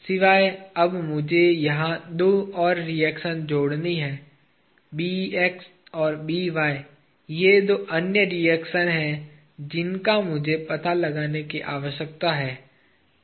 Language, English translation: Hindi, Except, now I have to add two more reactions here; Bx and By are the two other reactions that I need to find out